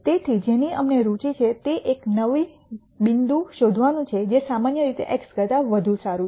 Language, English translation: Gujarati, So, what we are interested in is nding a new point which is better than x generally